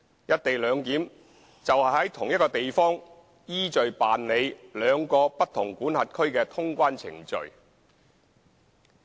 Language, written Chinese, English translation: Cantonese, "一地兩檢"就是在同一地方依序辦理兩個不同管轄區的通關程序。, Co - location arrangement means conducting clearance procedures of two different jurisdictions successively in one place